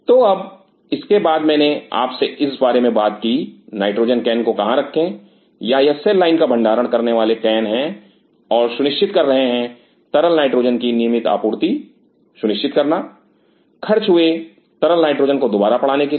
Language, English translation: Hindi, So, now after that I have talk to you about where to keep the nitrogen can or these are the cell line storage cans and ensuring, ensuring regular supply of liquid nitrogen to replenish the consume liquid n 2